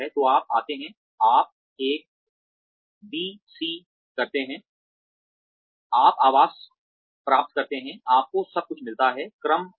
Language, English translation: Hindi, So, you come, you do a, b, c, go, you get accommodation, you get everything, in order